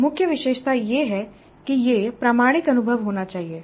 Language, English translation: Hindi, That is the meaning of the experience being authentic